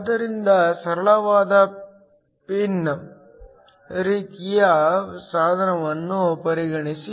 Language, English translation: Kannada, So, consider a simple pin kind of device